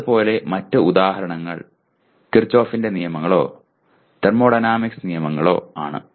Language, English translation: Malayalam, Similarly, other examples are Kirchoff’s laws or laws of thermodynamics